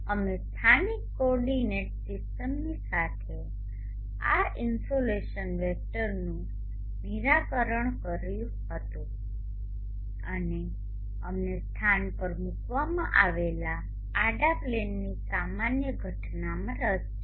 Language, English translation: Gujarati, We had also resolved this insulation vector along the local coordinate system and we are interested in a normal incidence to the horizontal plane placed at the locality